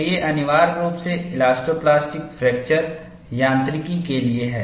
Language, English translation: Hindi, So, these are meant for essentially, elastoplastic fracture mechanics